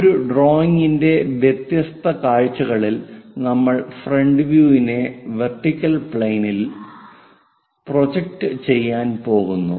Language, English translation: Malayalam, The different views of a drawing can be the front view that means, we are going to project it on to the vertical plane